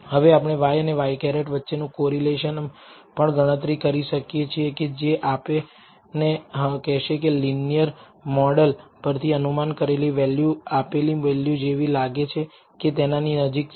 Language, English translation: Gujarati, Now, we will, can also compute the correlation between y and y hat which tells you whether the predicted value from the linear model is, resembles or closely related to, the measured value